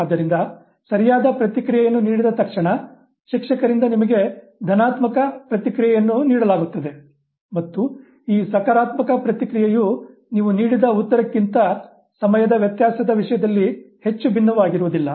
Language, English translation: Kannada, So, the moment the correct response is given, immediately you are given a positive feedback by the teacher and this positive feedback doesn't differ too much in terms of time difference from the answer that you had given